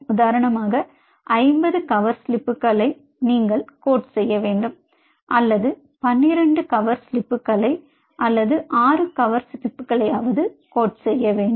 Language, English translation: Tamil, say, for example, you have to coat, say, fifty cover slips, or you have to coat, say, twelve cover slips or six cover slips